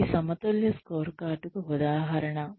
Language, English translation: Telugu, This is an example of a balanced scorecard